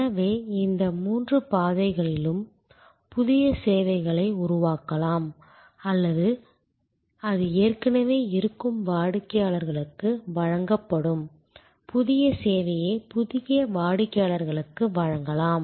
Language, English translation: Tamil, So, new services can be created in these three trajectories either it can be existing service offered new service offer to existing customer existing service offer to new customer